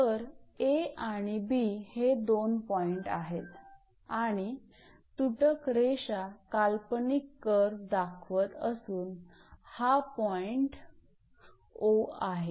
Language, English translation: Marathi, So, this is the two point A and B and this is that your curve dashed line is that imaginary curve this is the point O